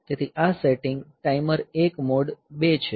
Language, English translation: Gujarati, So, this setting it is timer 1 MOD 2